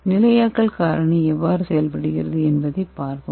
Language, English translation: Tamil, Let us see how the stabilization agent works